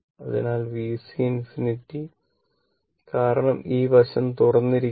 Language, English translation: Malayalam, So, V C infinity because this is this side is open